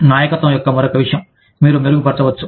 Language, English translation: Telugu, Leadership is another thing, that you can enhance